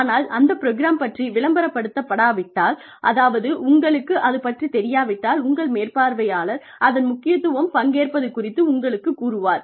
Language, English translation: Tamil, But, unless those programs are advertised, unless, they are, you know, unless, your supervisor tells you, that is important for you, to participate in a program